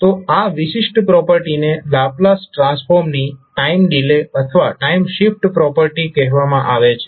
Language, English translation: Gujarati, So this particular property is called time delay or time shift property of the Laplace transform